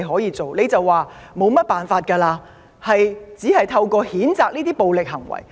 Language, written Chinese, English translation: Cantonese, 你說沒有甚麼辦法，只能譴責這些暴力行為。, You said you could do nothing except condemning such violent acts